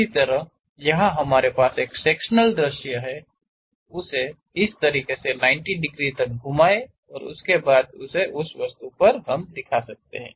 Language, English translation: Hindi, Similarly, here we have a sectional view, rotate it by 90 degrees in that way and represent it on that object